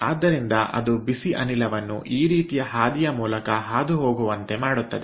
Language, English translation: Kannada, so hot gas is passing through this